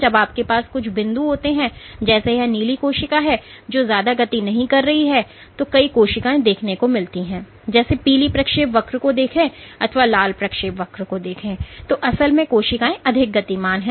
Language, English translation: Hindi, So, while you have some points some cells like this blue cell here which did not move much, you had saw these cells like the yellow trajectory here or the red trajectory here, but the cells really moved a lot ok